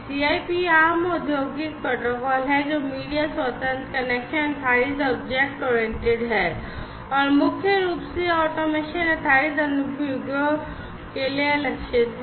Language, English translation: Hindi, So, CIP basically is the Common Industrial Protocol, which is media independent, connection based, object oriented, and primarily targeted towards automation based applications